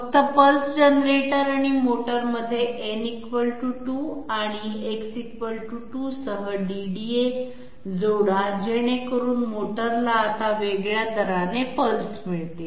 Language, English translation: Marathi, Simply add a DDA with n = 2 and X = 2 in between pulse generator and motor so that the motor is now going to get pulses at a different rate